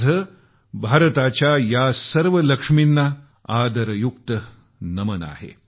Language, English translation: Marathi, I respectfully salute all the Lakshmis of India